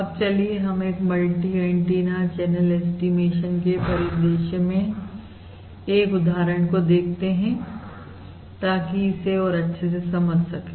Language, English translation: Hindi, Now let us look at the example of this multi antenna channel estimation scenario to understand this better